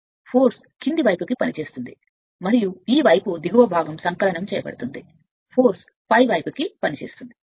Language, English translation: Telugu, So, and force will be acting down ward and this side your what you call lower portion will be additive force will act upwards